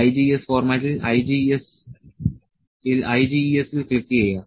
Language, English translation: Malayalam, In IGES format click at IGES